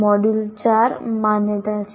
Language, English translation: Gujarati, That is module 4